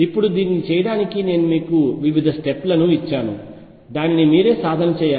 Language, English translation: Telugu, Now, I have given you steps to do this you will have to practice it yourself